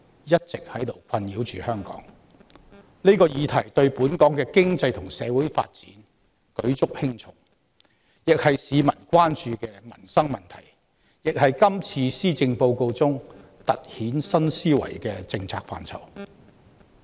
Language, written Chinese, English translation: Cantonese, 這個問題一直困擾着香港，對本港經濟及社會發展舉足輕重，既是市民關注的民生問題，亦是今次施政報告中突顯政府新思維的政策範疇。, Hong Kong has long been plagued by this problem which has significant implications on the economic and social development of the territory . It is not only a livelihood issue of concern to the people but also a policy area in the Policy Address that accentuates the new thinking of the Government